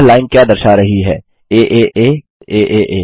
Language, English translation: Hindi, What does this line displaying aaa aaa….